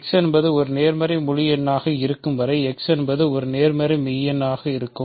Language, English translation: Tamil, So, it will be a positive real number as long as x is a positive integer as long as x is a nonzero element